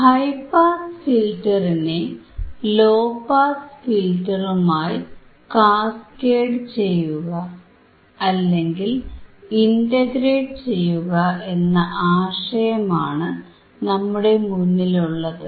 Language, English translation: Malayalam, So, the idea is to cascade or to integrate the high pass filter with the low pass filter